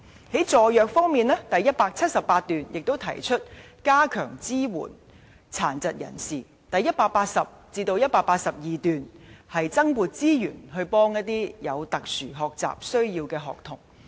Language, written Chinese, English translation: Cantonese, 在助弱方面，第178段提出加強支援殘疾人士；第180段至第182段提出增撥資源幫助有特殊學習需要的學童。, In respect of helping the disadvantaged paragraph 178 proposes bolstering support for persons with disabilities; paragraphs 180 to 182 propose deploying additional resources to support children with special needs